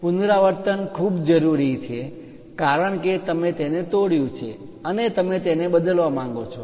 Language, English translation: Gujarati, Repetition is very much required, because you broke it and you would like to replace it